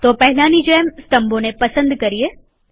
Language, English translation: Gujarati, So first select these columns as we did earlier